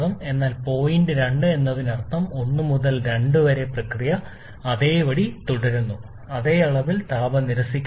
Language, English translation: Malayalam, So point 2 is also same means 1 to 2, the process remains same, same amount of heat rejection